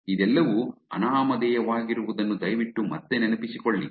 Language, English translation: Kannada, Again please remember all of this is going to be anonymous